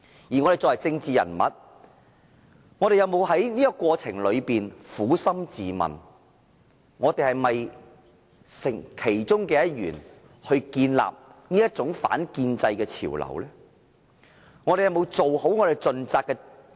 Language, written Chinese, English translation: Cantonese, 我們作為政治人物，有否在這個過程中撫心自問，我們是否促成這種反建制潮流的其中一分子呢？, Have we legislators asked ourselves in this process if we have played a part in facilitating these anti - establishment trends?